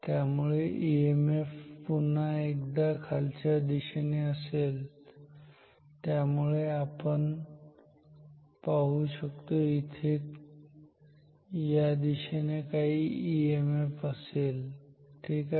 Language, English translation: Marathi, And therefore, the EMF is again downwards so we will see there is some EMF in this direction ok